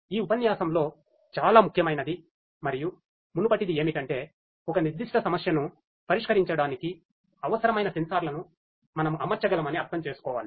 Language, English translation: Telugu, But what is very important in this lecture and the previous one is to understand that we can deploy whatever sensors are required for addressing a particular problem